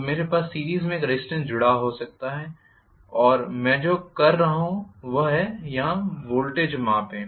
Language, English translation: Hindi, So, I may have a resistance connected in the series and what I am doing is to measure the voltage here